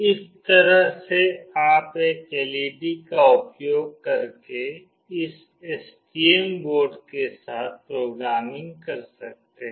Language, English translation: Hindi, This is how you can do programming with this STM board using a single LED